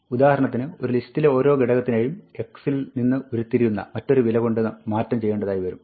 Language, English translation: Malayalam, For instance, we might want to replace every item in the list by some derived value f of x